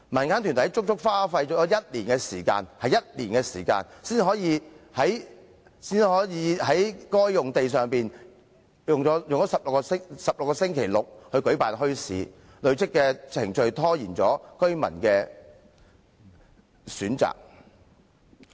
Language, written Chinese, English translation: Cantonese, 民間團體足足用了1年時間，才可以在該幅用地上營辦為期16個星期六的墟市，累贅的程序拖延了給予居民選擇。, The organization has spent one whole year before it could set up a bazaar on that land for 16 Saturdays . The cumbersome procedures have denied residents of a choice